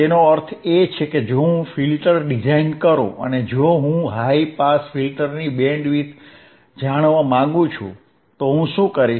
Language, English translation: Gujarati, tThat means, that if I design if I design a filter then and if I want to know the bandwidth of high pass filter, what I will do